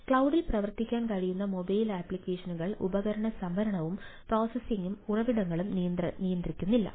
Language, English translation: Malayalam, mobile apps that can run on cloud are not constrained by device storage and processing resources